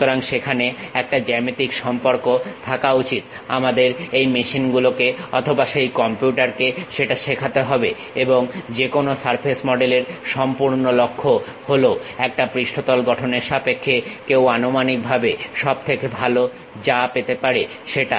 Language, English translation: Bengali, So, there should be a geometric relation we have to teach it to these machines or to that computer and whole objective of any surface model is the best approximation what one can get in terms of constructing a surface